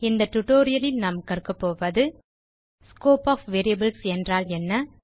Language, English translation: Tamil, In this tutorial we will learn, What is the Scope of variable